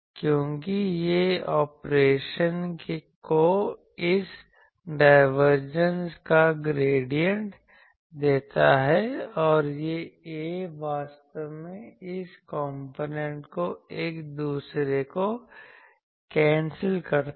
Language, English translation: Hindi, Because this gives operation the gradient of this divergence and this A they actually cancel each other this component